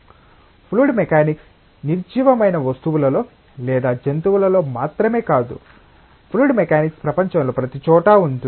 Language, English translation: Telugu, Fluid mechanics is not just in inanimate objects or in animals, but fluid mechanics is everywhere in the world